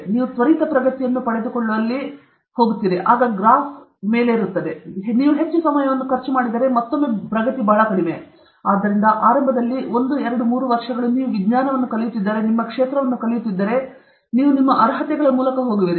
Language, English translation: Kannada, The graph takes a turn okay where you get a rapid progress, then afterwards if you keep on spending more time, again, the progress is very less; therefore, initially, one, two, one, two, three years whatever, you are learning the science, you are learning your field, you are going through your qualifiers and all that